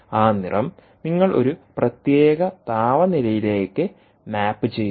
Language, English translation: Malayalam, that colour, you map it to a particular temperature, right, ah, um